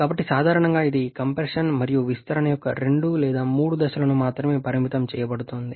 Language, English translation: Telugu, So generally it is restricted only 2 or 3 stages of compression and expansion